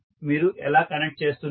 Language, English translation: Telugu, How we will connect them